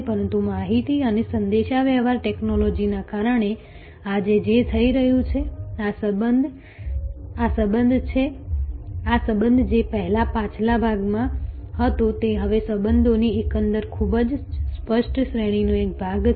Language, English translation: Gujarati, But, what is happening today due to information and communication technology, this relationship which was earlier in the back ground is now part of the, it is now part of the overall very explicit range of relationships